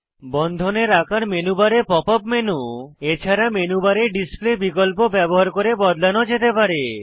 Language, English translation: Bengali, The size of the bonds can be changed using Pop up menu, as well as Display menu on the menu bar